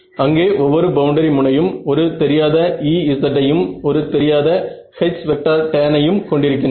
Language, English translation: Tamil, m plus m there now each boundary edge has a unknown E z and a unknown h tan right